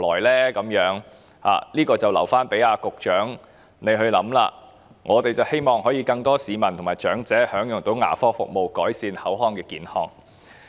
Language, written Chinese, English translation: Cantonese, "，這問題便留待局長考量，我們希望更多市民和長者能夠享用牙科服務，改善口腔健康。, We have to leave this question to the Secretarys consideration . We hope that more members of the public and elderly persons can enjoy dental services so that their oral health can be improved